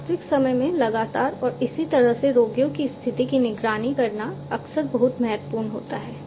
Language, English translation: Hindi, It is often very much important to monitor the condition of the patients continuously in real time and so on